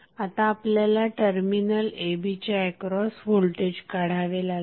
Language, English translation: Marathi, We have to find out the voltage across terminal a and b